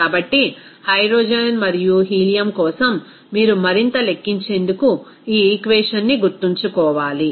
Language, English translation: Telugu, So, for hydrogen and helium that you have to remember this equation to calculate further